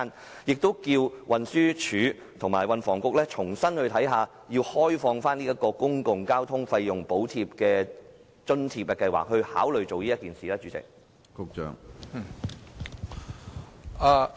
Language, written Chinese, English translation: Cantonese, 此外，亦希望運輸署和運房局重新審視，開放公共交通費用補貼計劃的支付平台，請他們考慮這樣做。, Besides I hope HD and the Transport and Housing Bureau will conduct an examination afresh and open up the payment platform of the Public Transport Fare Subsidy Scheme . Will they please consider doing so